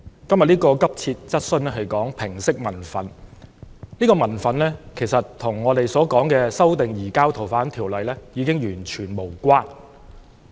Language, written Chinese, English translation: Cantonese, 今天這項急切質詢是關於平息民憤，今天的民憤其實與修訂《逃犯條例》已經完全無關。, This urgent question today is about allaying public resentment . The public resentment today is actually not in the least related to the amendment of the Fugitive Offenders Ordinance